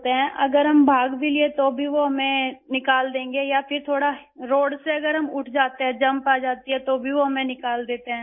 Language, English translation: Urdu, Even if we run, they will expel us or even if we get off the road a little, they will declare us out even if there is a jump